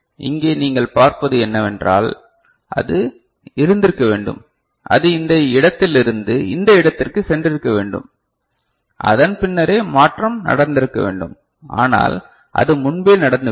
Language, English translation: Tamil, So, here what you see, it should have been, it should have gone from this place to this place right, then only the change should have taken place, but it has occurred earlier ok